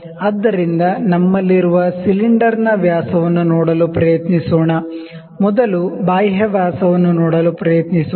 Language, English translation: Kannada, So, let us try to see the dia of the cylinder that we have, let us first try to see the external dia